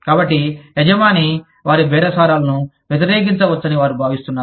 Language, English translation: Telugu, So, they feel that, the employer could oppose their bargaining